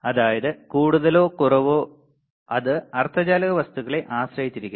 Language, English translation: Malayalam, So, more or less you see what we have found, more or less it depends on the semiconductor material